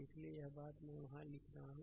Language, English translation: Hindi, So, this thing I am writing there